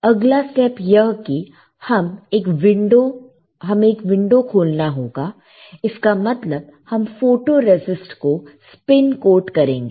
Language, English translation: Hindi, Next step is we had to open a window right; that means that we will spin coat photoresist